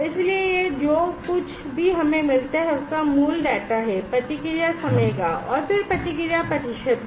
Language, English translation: Hindi, So, this are the basic data of whatever we get that is response time then response percent